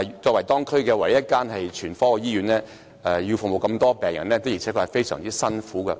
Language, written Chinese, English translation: Cantonese, 作為區內唯一一間全科醫院，聯合醫院要服務的病人眾多，的確是艱苦的工作。, Being the only general hospital in the district UCH has to serve a large number of patients . The work is indeed hard